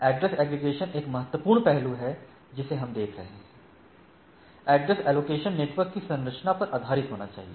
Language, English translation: Hindi, Address aggregation is a important aspect which we are looking at address allocations should be based on network structure